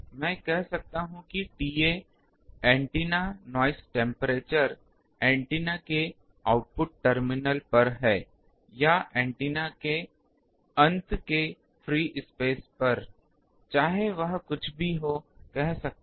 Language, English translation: Hindi, T A is antenna noise temperature at I can say output terminals of antenna or at the free space of the end of the antenna, whatever it is